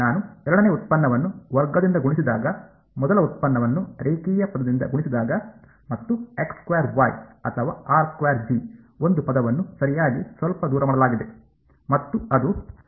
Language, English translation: Kannada, I have a second derivative multiplied by squared, first derivative multiplied by linear term and x squared y or a r squared G term right the something is slightly off and that is